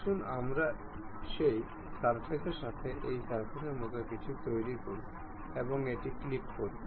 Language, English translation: Bengali, Let us do something like mate this surface with that surface, and click ok